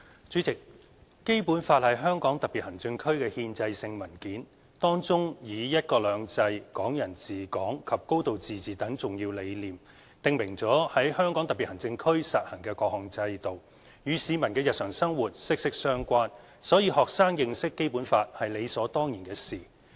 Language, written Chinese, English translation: Cantonese, 主席，《基本法》是香港特別行政區的憲制性文件，當中以"一國兩制"、"港人治港"及"高度自治"等重要理念，訂明了在香港特別行政區實行的各項制度，與市民的日常生活息息相關，所以學生認識《基本法》是理所當然的事。, President the Basic Law is a constitutional document for the Hong Kong Special Administrative Region HKSAR . It enshrines the important concepts of one country two systems Hong Kong people administering Hong Kong and a high degree of autonomy and also prescribes the various systems to be practised in the HKSAR . With the close link between the Basic Law and the daily lives of Hong Kong citizens it is only natural for students to learn about the Basic Law